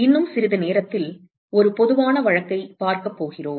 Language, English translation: Tamil, We are going to see a general case in a short while